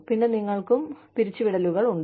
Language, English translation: Malayalam, And then, you would have layoffs